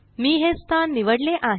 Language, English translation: Marathi, I have selected this location